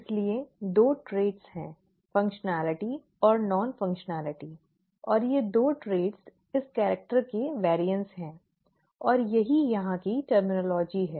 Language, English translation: Hindi, Therefore there are two traits, the functionality and non functionality and these two traits are variance of this character and that is the terminology here